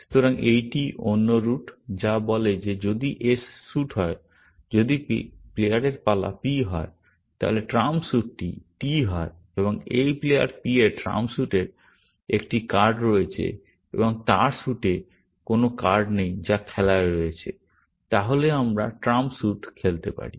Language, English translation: Bengali, So, this is the another root, which says that if the suit in place s; if the turn of the player is P, is there; the trump suit is T, and this player P has a card of the trump suit, and he does not have any card in the suit, which is in play; then we can play the trump suit